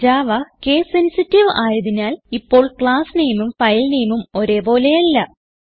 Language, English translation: Malayalam, Since Java is case sensitive, now the class name and file name do not match